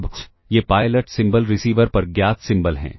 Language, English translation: Hindi, Now, this pilot symbols are symbols that are known at the receiver